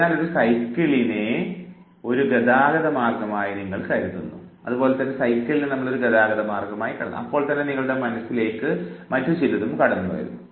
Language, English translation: Malayalam, So, you think of a bicycle, a mode of transport and something comes to your mind